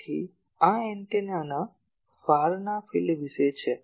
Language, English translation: Gujarati, So, this is about the far field of the antenna